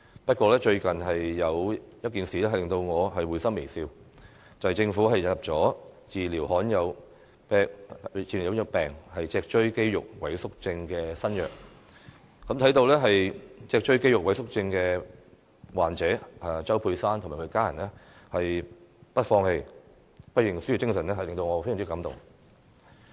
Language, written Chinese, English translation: Cantonese, 不過，最近有一件事令我會心微笑，就是政府引入治療罕有病脊髓肌肉萎縮症的新藥，看到脊髓肌肉萎縮症患者周佩珊及其家人不放棄、不認輸的精神，我相當感動。, That said one thing has recently made me smile happily that is the Government has listed a new drug to treat spinal muscular atrophy a rare disease . When I saw the firm and unflinching spirit of spinal muscular atrophy patient Josy CHOW and her family who never gave up and admitted defeat I was deeply moved